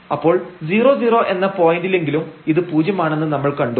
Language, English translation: Malayalam, So, at least at 0 0 point we have seen it as 0